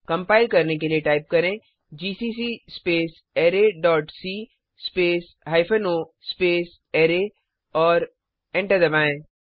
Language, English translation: Hindi, To compile type, gcc space array dot c space hypen o array and press Enter